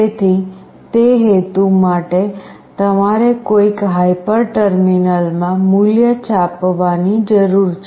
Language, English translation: Gujarati, So, for that purpose you need to print the value in some hyper terminal